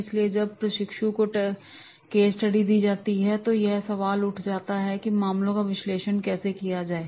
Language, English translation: Hindi, So, when the case study is given to the trainees, now the question arises how to make the analysis of the cases